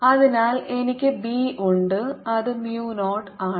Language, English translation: Malayalam, so i am left with b, which is mu zero